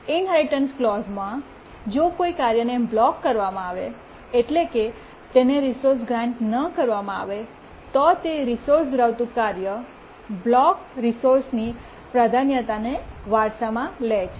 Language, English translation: Gujarati, If a task is made to block, it's not granted the resource, then the task holding that resource inherits the priority of the blocked resource